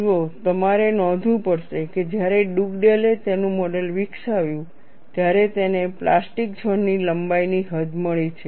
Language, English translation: Gujarati, See, you will have to note, when Dugdale developed his model, he has got the extent of plastic zone length